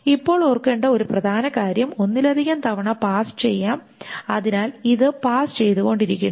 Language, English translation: Malayalam, Now, the one important thing to remember is that this can go on in more than one pass